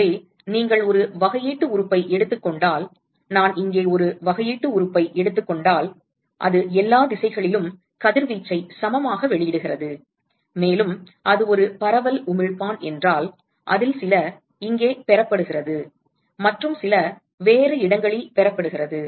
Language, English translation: Tamil, So, if you take a differential element, supposing I take a differential element here, it is emitting radiation in all directions and equally if it is a diffuse emitter and so, some of it is received by here and some of it is received by some other place